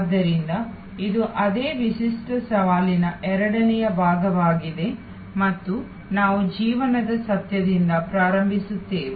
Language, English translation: Kannada, So, this is the second part of that same unique challenge set two and we start with the fact of life